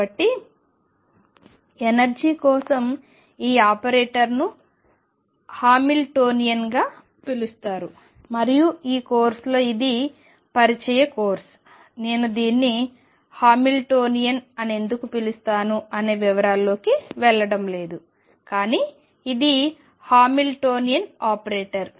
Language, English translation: Telugu, So, this operator for the energy is known as the Hamiltonian and in this course this is an introductory course, I am not going to go more into details of why this is called Hamiltonian, but this is the Hamiltonian operator